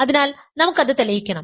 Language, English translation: Malayalam, So, we want to prove that